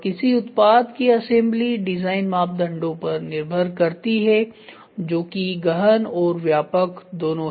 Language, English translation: Hindi, Assembly of a product is a function of design parameters that are both intensive and extensive in nature